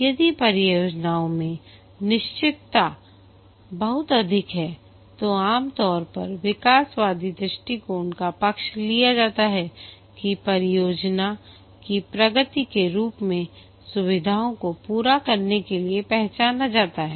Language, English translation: Hindi, If the uncertainty in the project is very high, then typically the evolutionary approach is favored, the features are identified to be completed as the project progresses